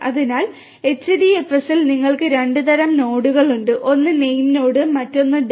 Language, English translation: Malayalam, So, in HDFS you have 2 types of nodes, one is the name node, the other one is the data node